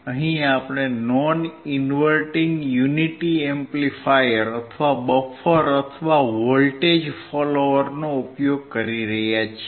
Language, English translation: Gujarati, Here we are using non inverting unity amplifier, or buffer or voltage follower